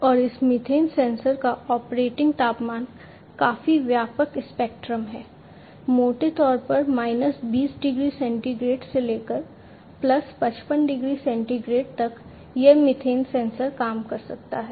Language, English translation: Hindi, And the operating temperature of this methane sensor is quite broad spectrum; from roughly about minus 20 degrees centigrade to about plus 55 degree centigrade, this methane sensor can work